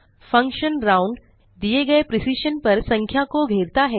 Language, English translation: Hindi, A function round, rounds a number to a given precision